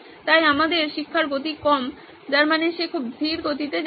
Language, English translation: Bengali, So we have a low pace of teaching which means she is going very slow